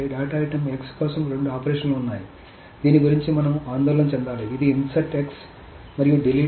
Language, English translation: Telugu, So for for a data item, X, there are two operations that we need to worry about, which is the insert X and a delete X